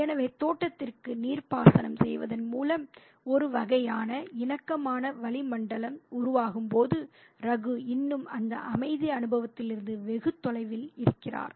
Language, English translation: Tamil, So, while there is a kind of a congenial atmosphere building up through the watering of the garden, and Ragu is still far away from that experience of peace